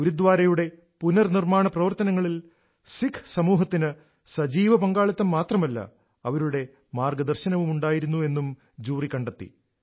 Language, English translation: Malayalam, The jury also noted that in the restoration of the Gurudwara not only did the Sikh community participate actively; it was done under their guidance too